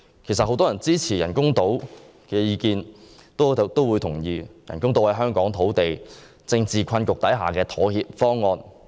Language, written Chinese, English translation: Cantonese, 其實，很多支持興建人工島的人均同意，人工島方案是在香港土地政治困局下的妥協方案。, As a matter of fact many people who support the construction of artificial islands agree that the proposal is a compromise under the present predicament concerning land polities in Hong Kong